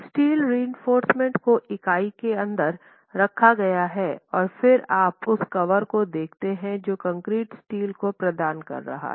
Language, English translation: Hindi, The steel reinforcement is placed in the pocket inside the unit and then you are talking of the cover that the concrete in the pocket is providing to the steel